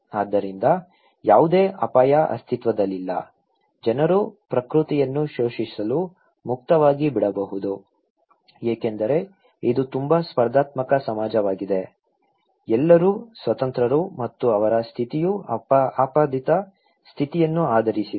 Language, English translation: Kannada, So, there is no risk exist, people can be left free to exploit nature, okay because this is a very competitive society okay, everybody is free and their status is based on ascribe status